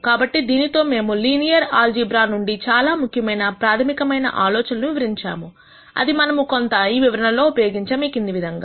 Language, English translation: Telugu, So, with this, we have described most of the important fundamental ideas from linear algebra that we will use quite a bit in the material that follows